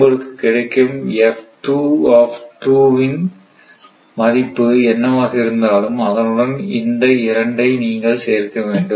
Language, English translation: Tamil, And whatever you get from here you please add this 2 like that, right